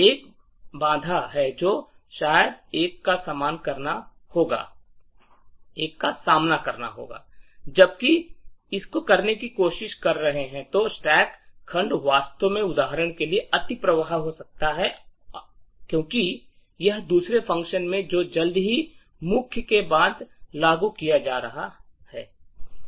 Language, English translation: Hindi, The one hurdle which one would probably face while trying to go this is that the stack segment may actually overflow for instance because this is from the second function which is invoked soon after main